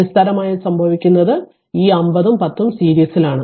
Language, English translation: Malayalam, So, basically what happen this 5 and 10 ohm are in series